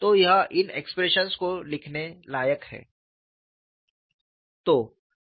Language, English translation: Hindi, So, it is worth writing this expression